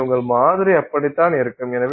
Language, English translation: Tamil, So, that is how your sample would be